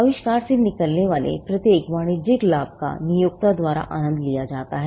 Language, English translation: Hindi, Now, every commercial gain that comes out of the invention is enjoyed by the employer